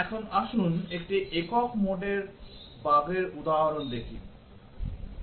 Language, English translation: Bengali, Now, let us look at an example of a single mode bug